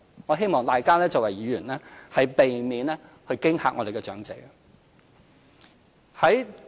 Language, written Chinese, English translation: Cantonese, 我希望大家作為議員，避免驚嚇長者。, I urge Members not to scare the elderly people